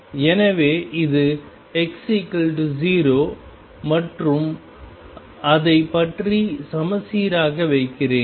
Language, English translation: Tamil, So, this is x equals 0 and I will put it is symmetrically about it